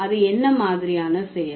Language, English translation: Tamil, And what kind of act